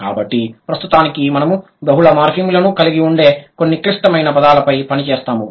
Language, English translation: Telugu, So, for the moment, we'll work on some complex words which will have multiple morphemes